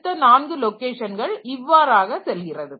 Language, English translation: Tamil, Then these are the next 4 locations so like that